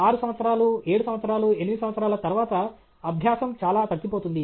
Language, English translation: Telugu, After 6 years, 7 years, 8 years, the learning will become very flat